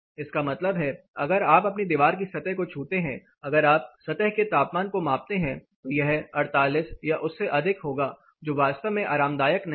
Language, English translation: Hindi, That means, if you touch the wall surface if you measure the surface temperature inside it is going to as high as 48 or above which is really not comfortable